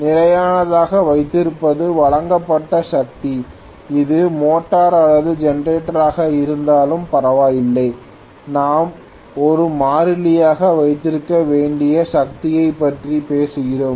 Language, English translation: Tamil, What is kept as constant is the delivered power, be it motor or generator it does not matter we are essentially talking about the power to be held as a constant